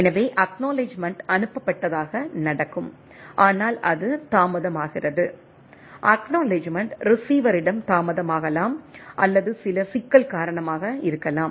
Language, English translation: Tamil, So, happen that acknowledgement is sent, but it is delayed right acknowledgement can be delayed at the receiver or due to some problem right